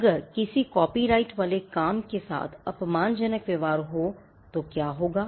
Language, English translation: Hindi, What would happen if there is derogatory treatment of a copyrighted work